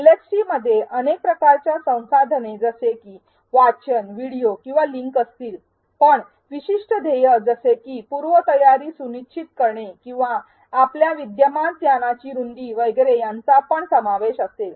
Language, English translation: Marathi, LxTs will consist of multiple types of resources such as readings, videos or links, but specific identified goals such as ensuring prerequisites or advancing the depth or breadth of your existing knowledge etcetera